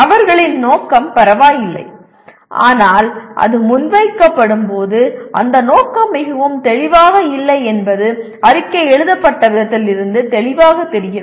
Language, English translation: Tamil, Their intention is okay but when it is presented that intention is not very clearly is not clear from the way the statement is written